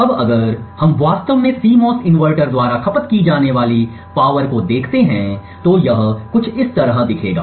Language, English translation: Hindi, Now if we actually look at the power consumed by the CMOS inverter, it would look something like this